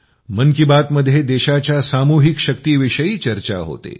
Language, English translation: Marathi, In 'Mann Ki Baat', there is mention of the collective power of the country;